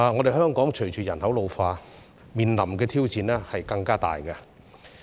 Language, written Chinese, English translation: Cantonese, 在香港，隨着人口老化，我們面臨的挑戰將會更大。, In Hong Kong given the ageing population we will be facing greater challenge in future